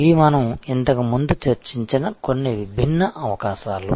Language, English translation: Telugu, These are some different possibilities that we have discussed before